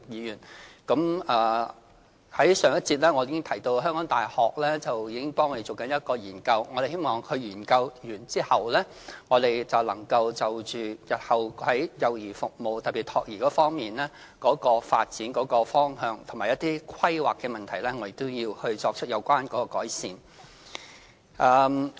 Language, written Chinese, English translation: Cantonese, 在上一個辯論環節中，我曾提到香港大學正協助我們進行一項研究，我們希望研究完成後，能就着日後在幼兒服務，特別是託兒方面的發展方向和規劃的問題，作出改善。, In the previous debate session I mentioned that the University of Hong Kong was assisting the Government in conducting a relevant study . We hope that improvements can be made upon the completion of the study to the future development direction and planning of child care services particularly child - minding services